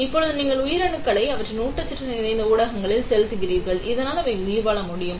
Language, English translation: Tamil, Now you will be flowing the cells in their nutrient rich media, so that they can survive